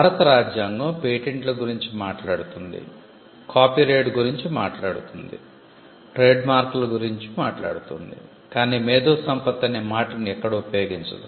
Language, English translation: Telugu, It talks about patents; it talks about copyright; it talks about trademarks, but the Constitution of India does not talk about intellectual property as a phrase itself